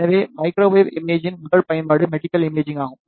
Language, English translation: Tamil, So, the first application of the microwave imaging is the medical imaging